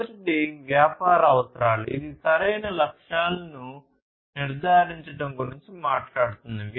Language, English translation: Telugu, First is the business requirements, which talks about setting the right objectives